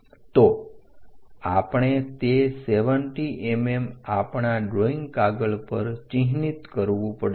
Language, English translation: Gujarati, So, we have to mark that 70 mm on our drawing sheet